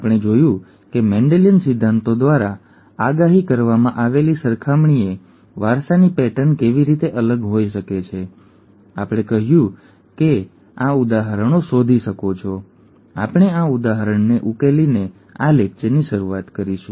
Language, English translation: Gujarati, We saw how the inheritance patterns could be different from those predicted by Mendelian principles and said that you could work out this example and we would start this lecture by solving this example